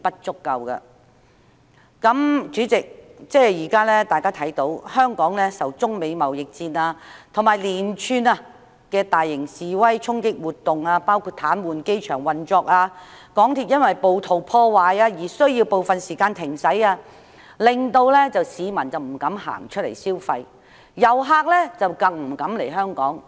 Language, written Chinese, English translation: Cantonese, 主席，香港現時受中美貿易戰及連串大型示威衝擊活動所影響，包括癱瘓機場運作、鐵路因為暴徒破壞而需部分時間停駛，以致市民不敢外出消費，遊客又不敢來港。, Chairman as Hong Kong has been subject to the China - United States trade war and a succession of massive demonstrations and clashes including the paralysis of airport operations and the intermittent suspensions of railway service due to vandalism by rioters the public are put off from going out to spend money and tourists dare not come to Hong Kong either